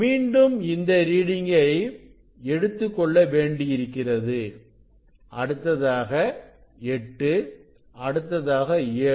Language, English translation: Tamil, again, I have to note down the reading then go to the 8 set at 8 set at 7 6